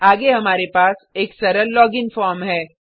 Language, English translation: Hindi, Next,we have a very simple login form